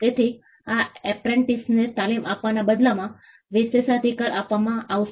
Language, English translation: Gujarati, So, the privilege would be given in return of training to apprentices